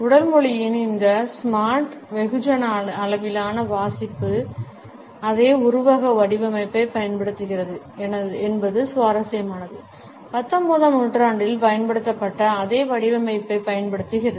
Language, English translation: Tamil, It is interesting that this smart mass scale reading of body language uses the same metaphor design; uses the same metaphor the same design, which had been used in the 19th century